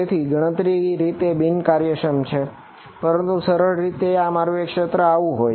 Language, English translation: Gujarati, So, the computationally inefficient, but easier thing to do is to make my domain like this